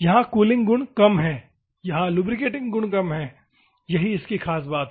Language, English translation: Hindi, Here, cooling properties are less, lubricating properties here all less, that is the beauty